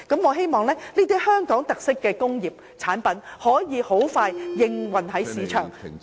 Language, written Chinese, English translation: Cantonese, 我希望這類具香港特色的產品可以盡快在市場上出現......, I hope that I will soon see products with Hong Kong characteristics in the market